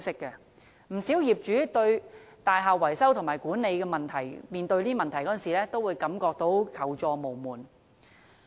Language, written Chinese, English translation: Cantonese, 不少業主面對大廈維修和管理問題時，都會感到求助無門。, When facing building maintenance and management issues many property owners feel denied of the help they need